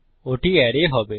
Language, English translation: Bengali, That will be the array